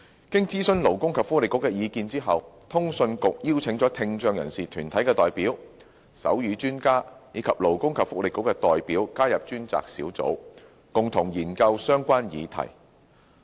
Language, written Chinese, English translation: Cantonese, 經徵詢勞工及福利局的意見後，通訊局邀請了聽障人士團體代表、手語專家，以及勞工及福利局的代表加入專責小組，共同研究相關議題。, After consulting the Labour and Welfare Bureau CA has invited deputations of people with hearing impairment sign language experts and representatives of the Labour and Welfare Bureau to join the task force for a joint study of the relevant issues